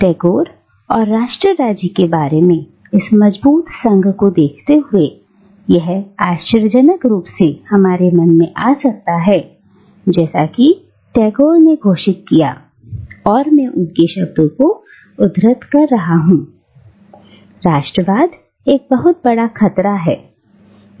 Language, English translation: Hindi, But given this strong association that we form in our mind between Tagore and nation state, it might come as a surprise that Tagore proclaimed, and here I am quoting his exact words: “Nationalism is a great menace